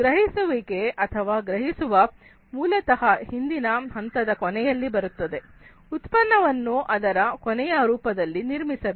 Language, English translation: Kannada, Perceiveness or perception is basically at the end of the previous phase, the product has to be built in its final form